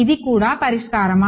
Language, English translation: Telugu, Is this also a solution